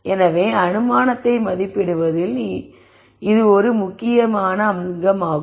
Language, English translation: Tamil, So, this is a critical component of assessing assumption